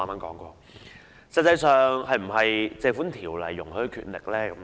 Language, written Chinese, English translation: Cantonese, 這實際上是否《條例》容許的權力呢？, Is that actually the authority permitted by the Ordinance?